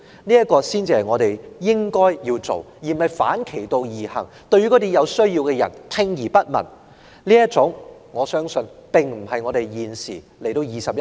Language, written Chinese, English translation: Cantonese, 這才是我們應做的事，而非反其道而行，對有需要的人聽而不聞，而我相信這種做法並非香港在現今21世紀應有的態度。, We are supposed to act in this way instead of doing the opposite turning a deaf ear to those in need which I believe is not the attitude that Hong Kong should take in this 21 century